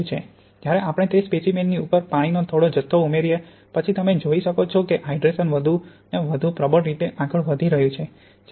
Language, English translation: Gujarati, Whereas if we put a small amount of water on top of that sample then you can see the hydration is going forward more, more strongly